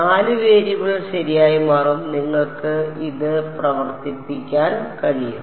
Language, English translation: Malayalam, 4 variables right it will turn out and you can work this out